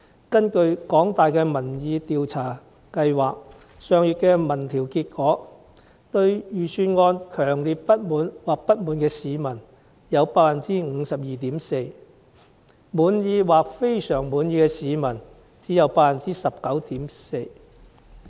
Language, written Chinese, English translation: Cantonese, 根據香港大學民意研究計劃上月的民調結果，對預算案強烈不滿或不滿的市民有 52.4%， 滿意或非常滿意的市民只有 19.4%。, According to a public opinion survey conducted last month by the Public Opinion Programme of the University of Hong Kong 52.4 % of the respondents were strongly dissatisfied or dissatisfied with the Budget and only 19.4 % of them were satisfied or very satisfied with it